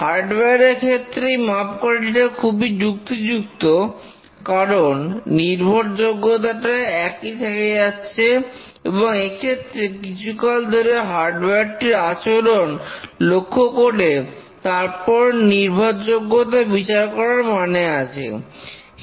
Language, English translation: Bengali, For hardware it is a very reliable metric because the reliability is maintained and it's meaningful to observe it for a long period and measure its reliability